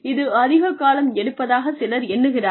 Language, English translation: Tamil, And, some people feel that, it takes up, too much time